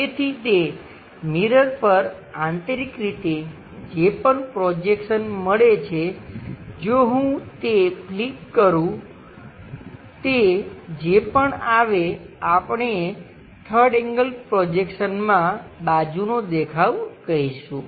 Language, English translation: Gujarati, So, whatever the projection from internally on that mirror happens if I flip whatever it comes that we will call as the side view in third angle projection